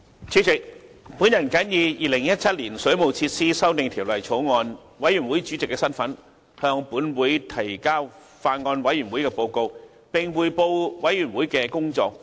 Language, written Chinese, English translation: Cantonese, 主席，我謹以《2017年水務設施條例草案》委員會主席的身份，向本會提交法案委員會的報告，並匯報委員會的工作重點。, President in my capacity as Chairman of the Bills Committee on Waterworks Amendment Bill 2017 I submit to this Council the report of the Bills Committee and report on the key items of its work